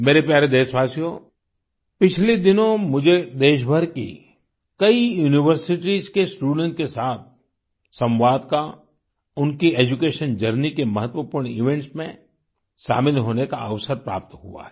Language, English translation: Hindi, in the past few days I had the opportunity to interact with students of several universities across the country and be a part of important events in their journey of education